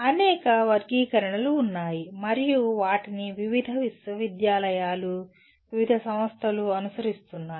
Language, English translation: Telugu, There are several taxonomies and they are followed by various universities, various organizations